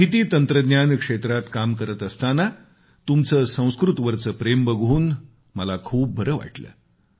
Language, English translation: Marathi, Alongwith being IT professional, your love for Sanskrit has gladdened me